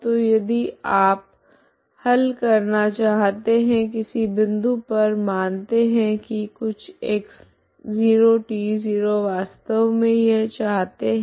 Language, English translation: Hindi, So if you want solution at some point let us say some x0, t 0 really want this one, okay